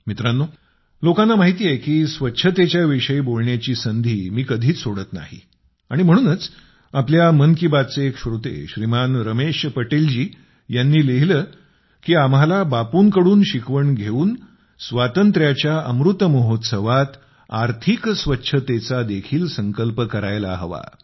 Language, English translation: Marathi, people know that I don't ever let go any chance to speak in connection with cleanliness and possibly that is why a listener of 'Mann Ki Baat', Shriman Ramesh Patel ji has written to me that learning from Bapu, in this "Amrit Mahotsav" of freedom, we should take the resolve of economic cleanliness too